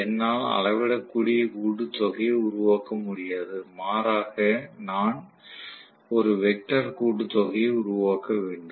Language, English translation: Tamil, So, I cannot make a scalar sum rather, I have to make a vector sum right